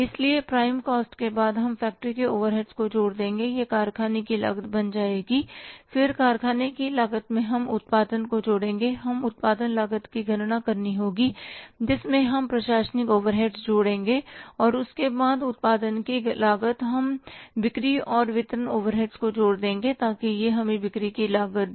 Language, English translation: Hindi, Then in the works cost we will add up the production, we will have to calculate the production cost so we will add up the administrative overheads and after the cost of production we will add up the selling and distribution overheads so it will give us the cost of sales